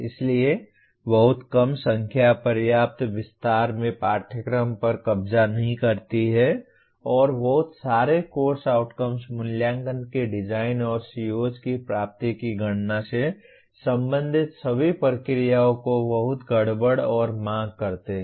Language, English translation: Hindi, So too small a number do not capture the course in sufficient detail and too many course outcomes make all the processes related to assessment design and computation of attainment of COs very messy and demanding